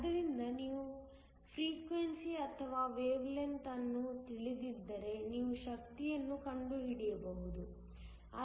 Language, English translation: Kannada, So, whether you know the frequency or the wavelength, you can find the energy